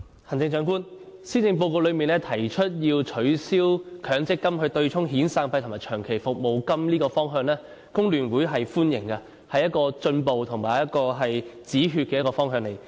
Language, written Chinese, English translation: Cantonese, 行政長官，施政報告提出要取消強制性公積金對沖遣散費及長期服務金這個方向，工聯會是歡迎的，這是一個進步及止血的方向。, Chief Executive the Policy Address proposes the direction of abolishing the offsetting of severance payments and long service payments with Mandatory Provident Fund MPF contributions . The Hong Kong Federation of Trade Unions FTU welcomes it for it is a progressive direction that seeks to stop the draining of MPF